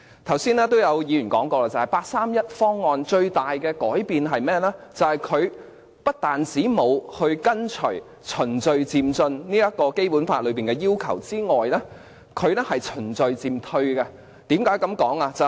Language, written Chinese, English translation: Cantonese, 剛才也有議員說過，八三一方案帶來的最大改變，是不但沒有跟隨《基本法》的要求循序漸進，更是循序漸退。, Some Members have said just now that the biggest change 31 August proposals has brought about is that it is a retrogressive proposal contrary to the principle of gradual and orderly progress as enshrined in the Basic Law